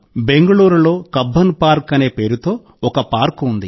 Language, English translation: Telugu, There is a park in Bengaluru – Cubbon Park